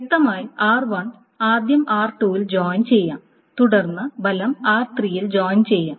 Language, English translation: Malayalam, So R1 is joined with R2 and then that is joined with R3